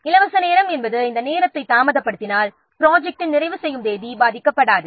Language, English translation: Tamil, Free time means by this much amount of time if the activity can be delayed the project completion date will not be affected